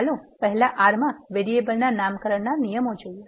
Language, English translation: Gujarati, Let us see the rules for naming the variables in R first